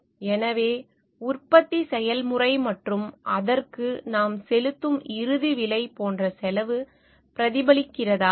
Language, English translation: Tamil, So, do the cost gets reflected like the in the production process and the end price that we are paying for it